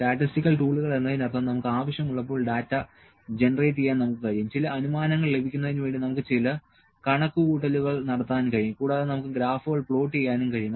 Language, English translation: Malayalam, Statistical tools means, we can when we generate the data, we can do some calculations to get some inference and we can plot the graphs